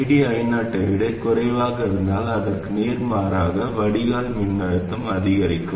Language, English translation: Tamil, So, if ID is more than I 0, then the drain voltage VD reduces